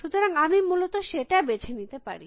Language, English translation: Bengali, So, I could choose that essentially